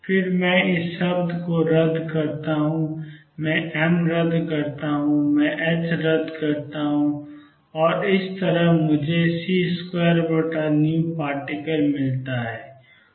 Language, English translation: Hindi, Then I cancel this term I cancel m, I cancel h and I get c square over v particle